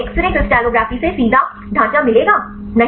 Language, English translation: Hindi, So, you will get the direct structure from x ray crystallography